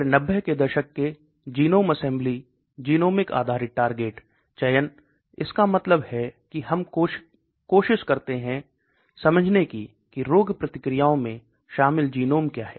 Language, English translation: Hindi, Then again 90s genome assembly genomic based target selection, that means we try to understand what are the genomes involved in the disease processes